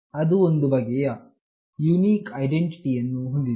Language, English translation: Kannada, It has got some unique identity